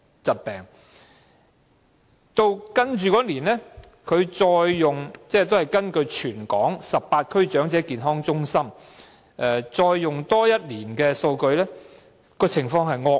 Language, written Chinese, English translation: Cantonese, 接下來的一年，港大再根據全港18區長者健康中心的數據進行研究，發現情況更惡劣。, In the following year HKU studied the data collected from 18 Elderly Health Centres under the Department of Health and found the situation even worse